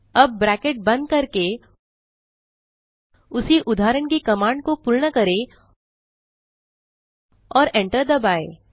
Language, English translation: Hindi, now complete the command of the same examples with close parenthesis and press enter